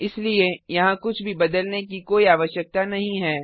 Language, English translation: Hindi, So there is no need to change anything here